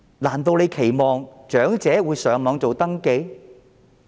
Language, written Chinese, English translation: Cantonese, 難道政府期望長者會到互聯網上登記？, Does the Government expect that the elderly will register online?